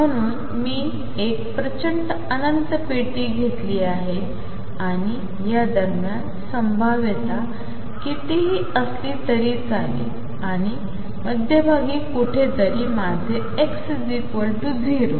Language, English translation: Marathi, So, I have taken a huge infinite box and in between here is the potential no matter what the potential does and somewhere in the middle is my x equals 0